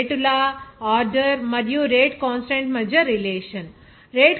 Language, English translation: Telugu, Now relation between the rate law, order, and the rate constant like this here